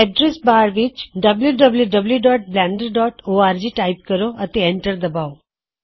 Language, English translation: Punjabi, In the address bar, type www.blender.org and hit the Enter key